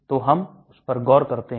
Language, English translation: Hindi, So we look at that